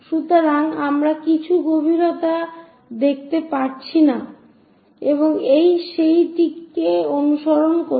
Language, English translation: Bengali, So, we do not see anything depth and this one follows that one